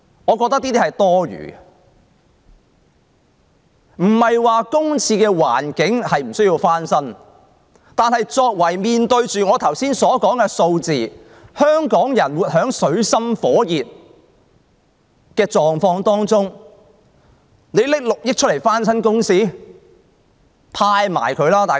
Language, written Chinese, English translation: Cantonese, 我不是說公廁不用翻新，但面對我剛才所述的數字，香港人活在水深火熱中，政府竟然撥款6億元翻新公廁？, I am not saying that public toilets need not be refurbished . According to the statistics quoted above however Hong Kong people are in dire straits but the Government earmarks 600 million to refurbish public toilets